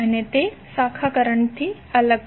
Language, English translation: Gujarati, And it is different from the branch current